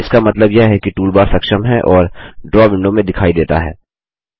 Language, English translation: Hindi, This means the toolbar is enabled and is visible in the Draw window